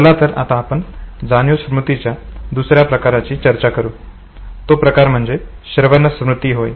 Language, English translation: Marathi, Let us now move to the other form of sensory memory that is echoic memory